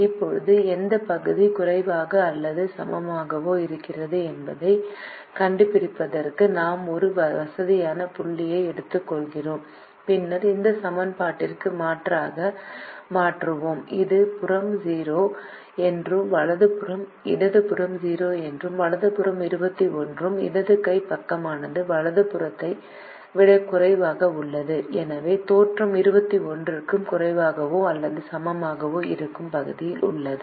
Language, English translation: Tamil, now, to find out which area is less than or equal to, we take a convenient point, which is the origin, and then we substitute into this equation and we realize that the left hand side is zero and the right hand side is twenty one left hand side is less than the right hand side